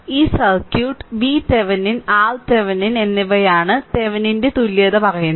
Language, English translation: Malayalam, So, its Thevenin’s equivalent says that this circuit that this voltage that v Thevenin and R Thevenin right